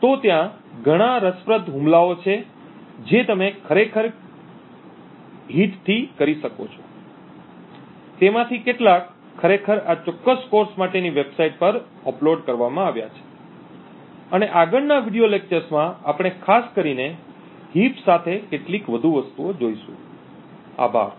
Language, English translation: Gujarati, So there are a lot of interesting attacks you can actually do with the heat, but the and some of them are actually uploaded to the website for this particular course and in the next video lectures we look at some more things specifically with the heap, thank you